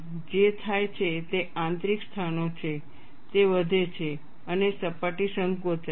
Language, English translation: Gujarati, What happens is the inner places, it increases and the surface shrinks